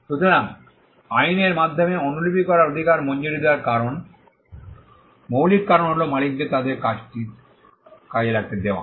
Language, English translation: Bengali, So, the reason fundamental reason why the right to copy is granted by the law is to allow the owners to exploit their work